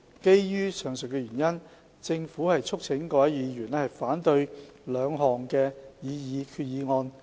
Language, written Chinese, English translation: Cantonese, 基於上述原因，政府促請各位議員反對兩項決議案。, In view of the above reasons the Government urges Honourable Members to oppose the two resolutions